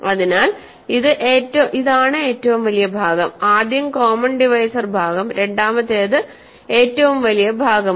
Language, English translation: Malayalam, So, this is the greatest part, first is the common divisor part second is the greatest part